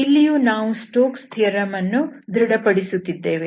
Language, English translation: Kannada, So, it verifies the Stokes theorem